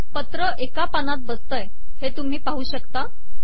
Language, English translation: Marathi, You can see that the whole letter has come to one page